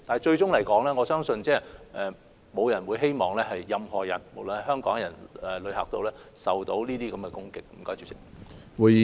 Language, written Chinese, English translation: Cantonese, 最終來說，我相信沒有人希望任何人——無論是香港人或旅客——會受到這些攻擊。, In closing I believe no one wishes that anyone―be they Hong Kong people or travellers―would be subject to these attacks